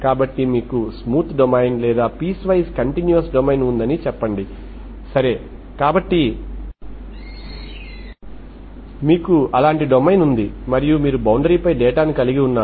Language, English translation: Telugu, So let us say you have this smooth domain or piecewise continuous domain, okay, so you have such a domain and you have this is your boundary